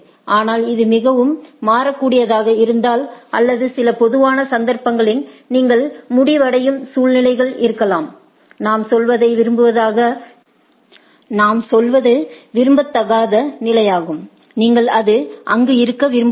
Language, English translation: Tamil, But, if it is very dynamic or in some typical cases there may be situations where you may end up in, what we say non desirable states right which you do not want to be there right